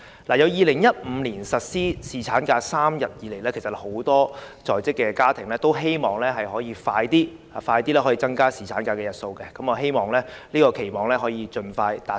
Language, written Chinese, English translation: Cantonese, 自2015年實施3天侍產假以來，很多在職家庭均希望盡快增加侍產假日數，我希望這個期望可盡快達成。, Since the introduction of a three - day paternity leave in 2015 many families with working couples have hoped that the duration of paternity leave can be increased as early as possible . I equally hope that this can come true soon . Employees benefits in Hong Kong are inadequate